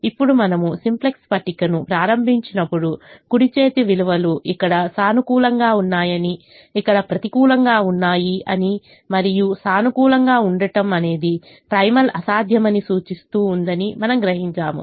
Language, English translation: Telugu, now, when we start the simplex table, we realize that the right hand side values are positive, negative here and positive, indicating that the primal is infeasible